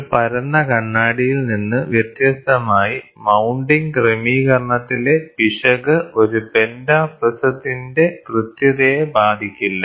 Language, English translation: Malayalam, Unlike a flat mirror, the accuracy of a pentaprism is not affected by the error present in the mounting arrangement